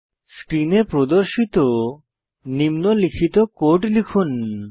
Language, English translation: Bengali, Type the code as displayed on the screen